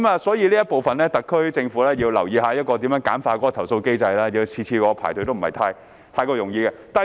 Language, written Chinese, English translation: Cantonese, 所以，在這方面，特區政府要留意如何簡化投訴機制，每次要我排隊也不是容易的事。, Therefore in this respect the SAR Government should consider how to simplify the complaint mechanism . It is not easy to ask me to queue up every time